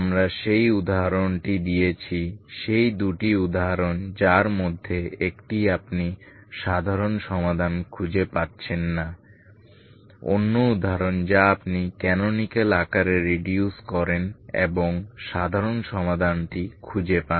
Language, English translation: Bengali, We can find the general solution of that equation we have given that example those two examples in which one you cannot find the general solution other example you reduce into canonical form and find the general solution ok